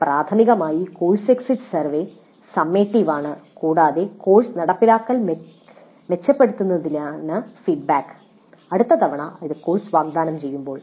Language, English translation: Malayalam, So primarily the course exit survey is a summative one and the feedback is for the purpose of improving the course implementation the next time the course is offered